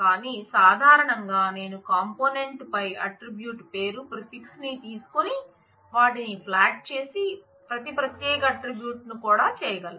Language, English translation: Telugu, But in general, I can take the attribute name prefix on the component, and just flatten them out make them all attributes each separate attribute